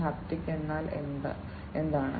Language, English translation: Malayalam, Haptic means what